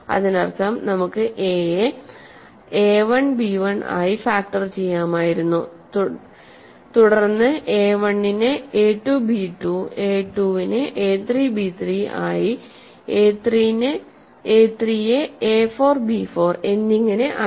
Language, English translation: Malayalam, That means, we could have factored a as a1 b1 and we would then factor a1 as a 2 b 2 a 2 as a 3 b 3 if a 3 as a 4 b 4 and so on right, this must continue forever